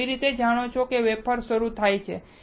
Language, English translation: Gujarati, How you know wafer start